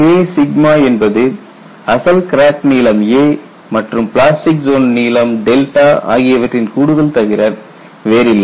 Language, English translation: Tamil, The K sigma what you have taken is nothing but the original crack length a plus the assumed plastic zone length delta